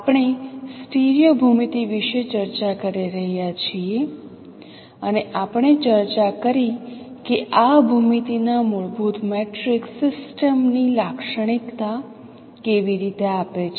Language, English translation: Gujarati, We are discussing about stereo geometry and we discussed how a fundamental matrix of this geometry characterizes the system